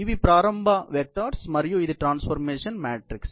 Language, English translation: Telugu, These are the initial vectors and this is the transformation matrix